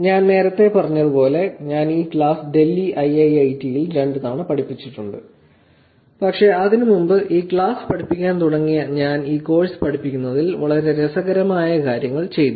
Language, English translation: Malayalam, As I said earlier, I have been teaching this class at IIIT, Delhi couple of times, but before that; starting to teach this class I did things which actually makes very interesting way into teaching this course